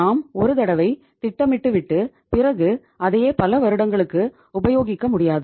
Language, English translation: Tamil, You cannot plan for once and use it for years